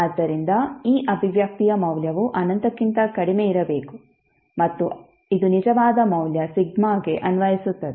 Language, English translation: Kannada, So that means the value of this expression should be less than infinity and this would be applicable for a real value sigma